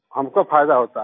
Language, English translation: Hindi, We are benefited